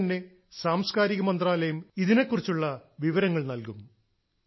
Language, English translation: Malayalam, In the coming days, the Ministry of Culture will provide all the information related to these events